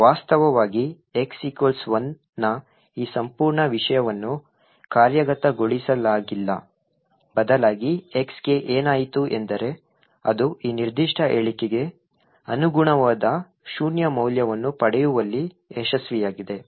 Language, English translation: Kannada, Infact this entire thing of x equal to 1 has not been executed at all rather what has happened to x is that it has somehow manage to obtain a value of zero which corresponds to this particular statement